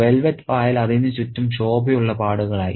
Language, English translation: Malayalam, Velvet moss sprang around it in bright patches